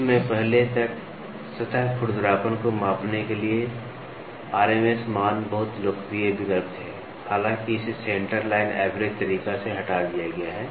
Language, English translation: Hindi, Until recently, RMS values were very popular choice for quantifying surface roughness; however, this has been superseded by the centre line average method